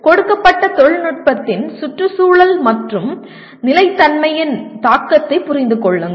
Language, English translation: Tamil, Understand the impact of a given technology on environment and sustainability